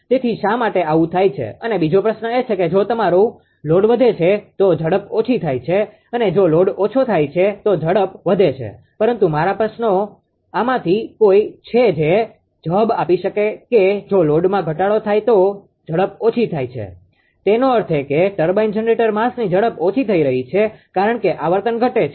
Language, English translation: Gujarati, So, why this happens and second question is that if ah your load is increases speed decreases right and if load ah decreases speed increases, but my question is either of this you can answer that if load decreases ah increases speed decreases; that means, ah turbine generator mass speed is decreasing right because frequency decreases